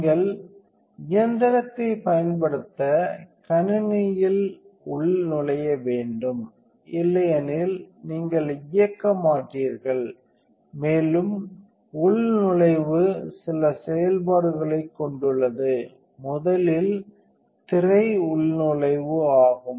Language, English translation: Tamil, So, the log in computers here you have to login to use the machine otherwise you will not turn on, and the log in has some of functions first the screen is the login